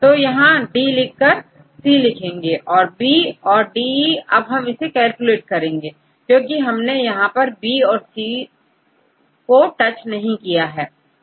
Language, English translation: Hindi, So, here you put the 9 as it is, and you have to put the C right and the B and DE we have to calculate because B and C we do not touch